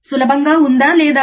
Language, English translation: Telugu, Is it easy or not